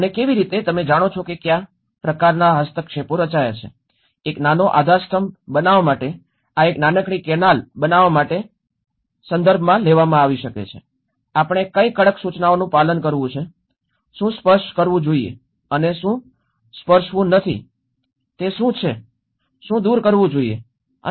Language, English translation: Gujarati, And how, what kind of interventions have been formed you know, to make a small pillar it might have taken this to make a small canal, what are the various strict instructions we have to follow, what to touch and what not to touch, what to remove and what not to add